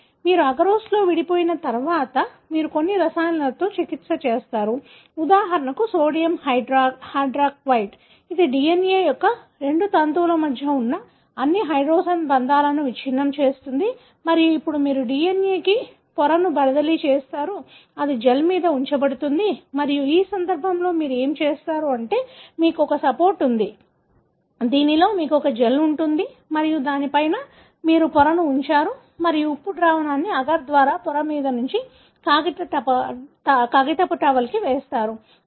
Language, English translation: Telugu, So, once you have separated in agarose, you treat with certain chemicals, for example sodium hydroxide, which breaks all the hydrogen bonds between the two strands of the DNA and now you transfer the DNA to the membrane, that is kept over the gel and what you do in this case is that, you have a support, wherein you have the gel and then on the top of that you put a membrane and you allow the salt solution to pass through the agar to over the membrane and to the paper towel that are kept on the top